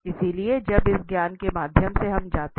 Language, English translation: Hindi, So, having this knowledge now we can go through